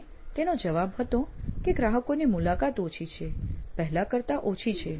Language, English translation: Gujarati, And his answer was customer visits are few, are fewer than they used to be